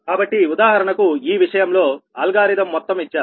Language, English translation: Telugu, so in this case the complete algorithm is given below